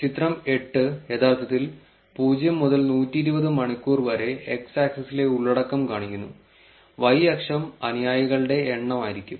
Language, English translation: Malayalam, The figure 8 actually shows you the content on the x axis till 0 to 120 hours, y axis to be the number of followers